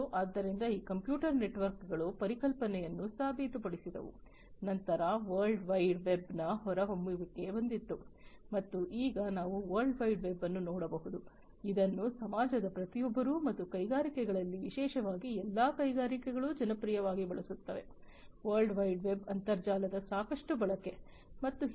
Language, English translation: Kannada, So, this computer networks the concept was proven, then came the emergence of the world wide web, and now we can see that the world wide web is something, that is popularly used by everybody in the society and also in the industries particularly all industries have lot of use of internet lot of use of world wide web and so on